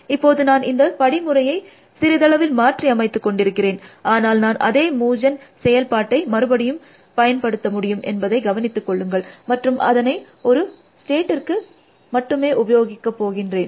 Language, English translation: Tamil, So, I have to modified the algorithm is little bit, but notice that I can still use the same move gen function, and I am only going to applying to a state